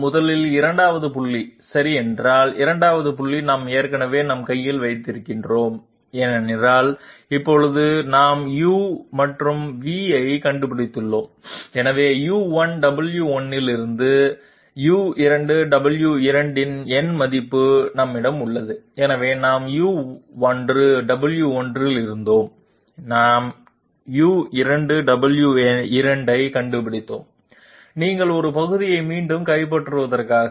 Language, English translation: Tamil, 1st of all, if the 2nd point okay 2nd point we already have in our hand because now we have found out Delta u and Delta v and therefore we have a numerical value of U2 W2 from U1 W1, so we were at U1 W1, we have found out U2 W2 just to make you recapitulate part